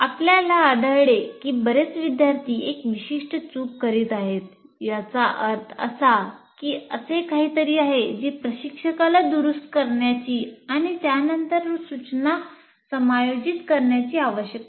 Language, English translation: Marathi, That means if you find many students are committing a particular mistake, that means there is something that instructor needs to correct, have to adjust his subsequent instruction